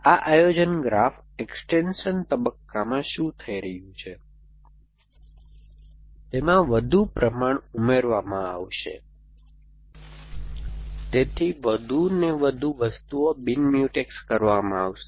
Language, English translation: Gujarati, So, what is happening in this in this planning graph extension stage that more proportions a being added, so more and more things will come in to play as non Mutex